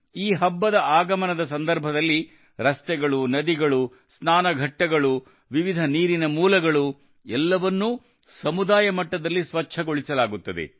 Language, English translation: Kannada, On the arrival of this festival, roads, rivers, ghats, various sources of water, all are cleaned at the community level